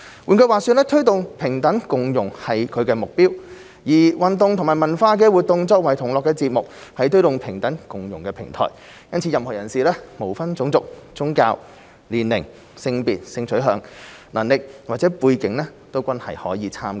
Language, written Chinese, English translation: Cantonese, 換句話說，推動平等共融是其目標，而運動及文化活動作為同樂節目，是推動平等共融的平台，因此任何人士，無分種族、宗教、年齡、性別、性取向、能力或背景均可以參加。, In other words organizing sports and cultural activities for all is the means to pursue the aim of promoting equality and inclusion . Therefore everyone is welcome to participate in the event regardless of ethnicity religion age gender identity sexual orientation ability or background